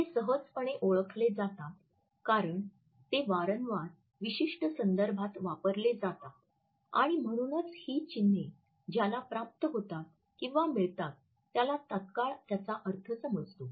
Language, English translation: Marathi, They are easily identified because they are frequently used in specific context and therefore, the person who receives these emblems immediately understand the meaning